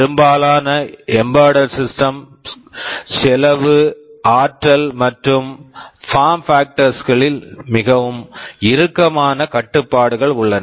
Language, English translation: Tamil, And for most of these embedded systems there are very tight constraints on cost, energy and also form factor